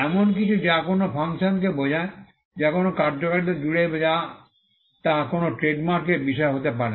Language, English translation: Bengali, Something which is which did denote a function, or which covers a functionality cannot be the subject matter of a trademark